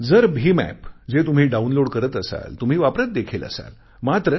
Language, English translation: Marathi, You must be downloading the BHIM App and using it